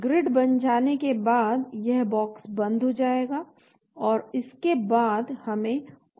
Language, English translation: Hindi, Once the Grid has been created this box will close and then after that we have to run AutoDock